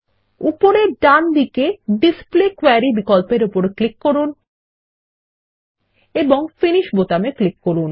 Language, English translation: Bengali, Let us click on the Display Query option on the top right side and click on the Finish button